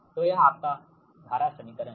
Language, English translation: Hindi, this is your current equation now